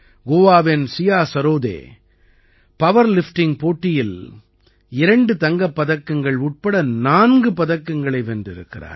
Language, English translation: Tamil, Siya Sarode of Goa won 4 medals including 2 Gold Medals in power lifting